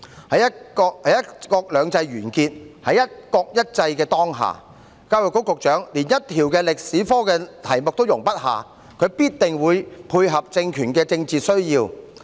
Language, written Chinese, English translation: Cantonese, 在"一國兩制"完結，在"一國一制"的當下，教育局局長連一條歷史科試題也容不下，必定會配合政權的政治需要。, When one country two systems has come to an end and one country one system prevails the Secretary for Education who could not even put up with a history exam question will certainly cater to the political needs of the regime